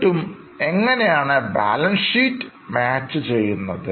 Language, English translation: Malayalam, Then will the balance sheet still tally